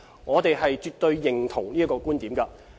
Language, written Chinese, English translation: Cantonese, 我們絕對認同這觀點。, We absolutely agree with this point